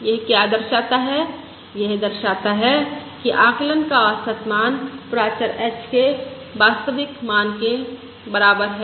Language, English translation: Hindi, this signifies that average value of estimate equals true value of of the parameter h